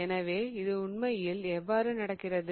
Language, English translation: Tamil, So, how does this really affect